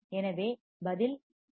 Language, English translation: Tamil, So, answer would be fh=1